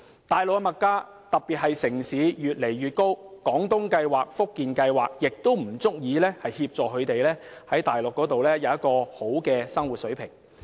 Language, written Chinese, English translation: Cantonese, 大陸的物價越來越高，在城市尤甚，廣東計劃及福建計劃均不足以讓長者在大陸享受良好的生活水平。, The living standard on the Mainland and especially in the major cities is getting increasingly high . The Guangdong Scheme or the Fujian Scheme is far from adequate in ensuring the elderly an enjoyable level of living on the Mainland